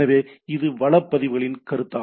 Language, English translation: Tamil, So, it is a concept of resource records right